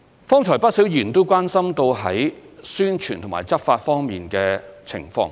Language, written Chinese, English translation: Cantonese, 剛才有不少議員關心宣傳和執法方面的情況。, Just now quite many Members expressed concern over publicity and law enforcement